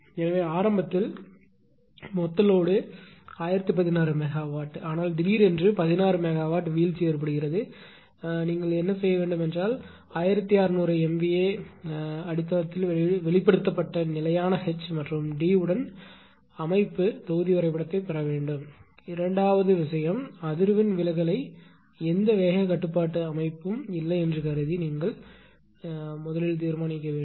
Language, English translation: Tamil, So, initially a total load of 1016 megawatt, but there is sudden drop of 16 megawatt then what you have to do is you have to obtain the system block diagram with constant H and D expressed on 1600 MVA base right; you have to obtain the system block data with constant H and D